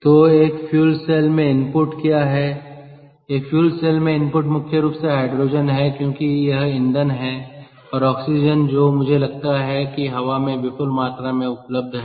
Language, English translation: Hindi, input in a fuel cell is hydrogen, mainly because thats the fuel and oxygen which is available, i thinks quiet, in significant amounts in air